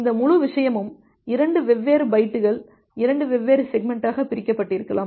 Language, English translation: Tamil, It may happen that this entire thing is divided into 2 different bytes 2 different segments